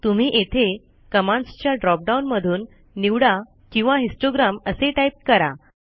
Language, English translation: Marathi, You can select from the commands here or you can just type histogram